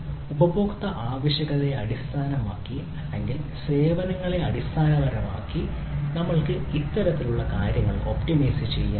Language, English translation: Malayalam, so, based on the, on the type of customer requirement or based on the services, i can basically, we can basically to optimize this type of stuff